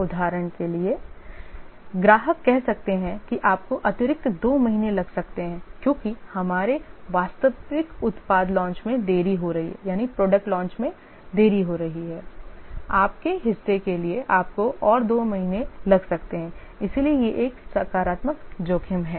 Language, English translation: Hindi, For example, the customer may say that you can take an additional two months because our actual product launch is delayed for your part you may take another two months